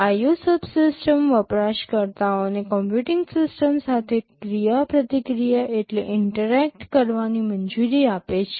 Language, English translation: Gujarati, The IO subsystem allows users to interact with the computing system